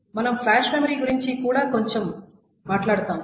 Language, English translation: Telugu, And we'll talk about flash memories a little bit more detail later